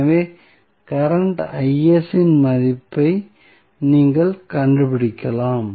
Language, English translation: Tamil, So, you can find out the value of current Is